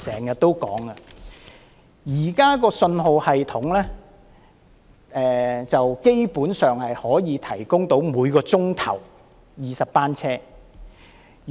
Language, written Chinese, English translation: Cantonese, 現時的信號系統基本上可以應付每小時20班車。, The existing signalling system can basically manage 20 train trips per hour